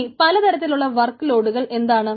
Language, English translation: Malayalam, but what about the different workloads